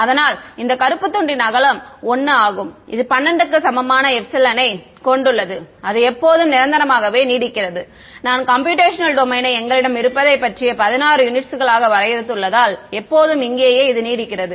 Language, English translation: Tamil, So, the width of this black strip is 1 it has epsilon equal to 12 and it extends forever of course, it extends forever because I have defined the computational domain about we have 16 units over here right